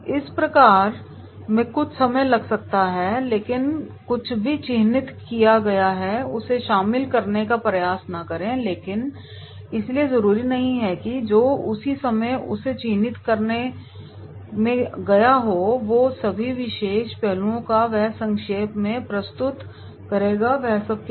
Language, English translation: Hindi, This process can take some time but do not attempt to include everything that has been marked, so not necessarily a trainee whatever the time he has marked and those particular all the aspects he will cover during summarising